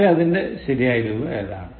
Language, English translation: Malayalam, But, then what is the correct form